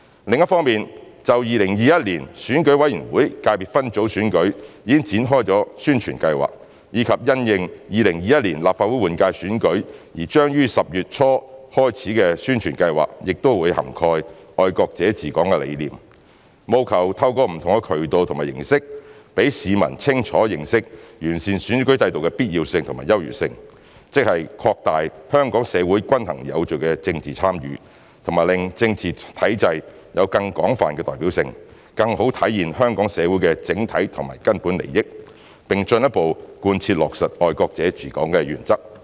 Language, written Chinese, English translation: Cantonese, 另一方面，就2021年選舉委員會界別分組選舉已展開的宣傳計劃，以及因應2021年立法會換屆選舉而將於10月初開始的宣傳計劃，亦會涵蓋"愛國者治港"的理念，務求透過不同的渠道和形式讓市民清楚認識完善選舉制度的必要性和優越性，即擴大香港社會均衡有序的政治參與和令政治體制有更廣泛代表性，更好地體現香港社會的整體和根本利益，並進一步貫徹落實"愛國者治港"的原則。, Moreover the concept of patriots administering Hong Kong has been featured in the ongoing publicity campaign for the 2021 Election Committee Subsector Ordinary Elections and the publicity campaign for the 2021 Legislative Council General Election commencing in early October with a view to enabling the public to clearly understand the necessity and superiority of the improved electoral system ie . enhancing the balanced and orderly political participation of the Hong Kong community and ensuring broader representation of the political structure so as to better realize the overall and fundamental interests of the Hong Kong community and fully implement the principle of patriots administering Hong Kong further